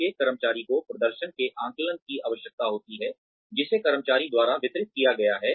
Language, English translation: Hindi, Every employee requires assessment of the performance, that has been delivered by the employee